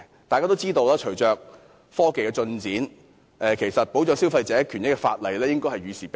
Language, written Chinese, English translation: Cantonese, 大家也知道，隨着科技進展，保障消費者權益的法例應該與時並進。, As we all know with the advancement of technology legislation on protecting consumers rights and interests should keep pace with the times